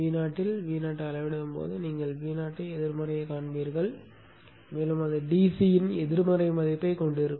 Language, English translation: Tamil, The V0 measuring at V0 itself you will see V0 is negative and it will have a negative value of DC as shown here